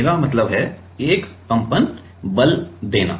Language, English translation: Hindi, I mean giving a vibrating force